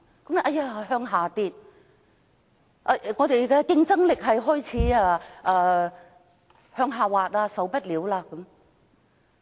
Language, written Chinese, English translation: Cantonese, 有人說數字下跌，本港的競爭力亦開始向下滑，我們不可以這樣下去。, Some people said that the decreasing number of visitors indicated a decline in Hong Kongs competitiveness and stated that this situation could not persist